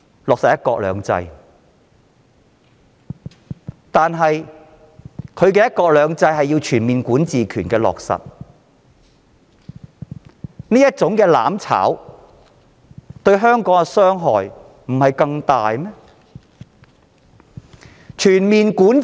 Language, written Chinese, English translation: Cantonese, 但是，現在的"一國兩制"，卻要全面落實管治權，這種"攬炒"對香港的傷害不是更大嗎？, However under one country two systems the Central Government currently exercises overall jurisdiction over Hong Kong . Will this form of mutual destruction be even more detrimental to Hong Kong?